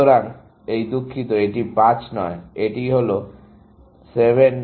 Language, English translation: Bengali, So, this is, sorry, this is not 5; this is 7